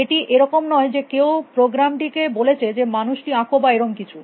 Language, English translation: Bengali, It is not somebody has told the program draw man or something